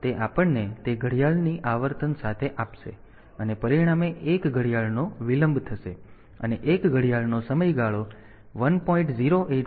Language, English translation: Gujarati, So, that will give us that with be the clock frequency, and as a result the delay of 1 clock is 1 clock period is 1